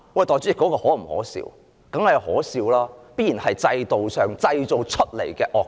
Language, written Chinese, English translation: Cantonese, 當然可笑，這必然是制度製造出來的惡果。, Of course . This has been the adverse result created by the system